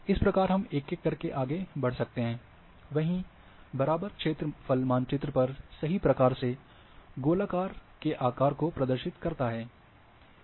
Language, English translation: Hindi, This is how we will go one by one, that equal area correctly represents areas sizes of the sphere on the map